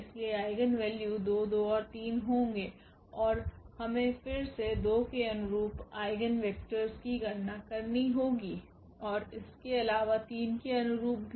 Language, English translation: Hindi, So, the eigenvalues will be 2 2 and 3 and we have to compute again the eigenvectors corresponding to the 2 and also corresponding to this 3